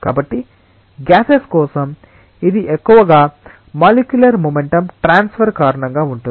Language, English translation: Telugu, So, for gases it is mostly because of transfer of molecular momentum